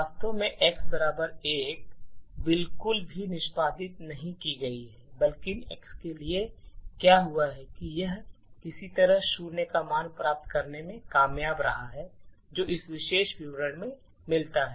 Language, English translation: Hindi, Infact this entire thing of x equal to 1 has not been executed at all rather what has happened to x is that it has somehow manage to obtain a value of zero which corresponds to this particular statement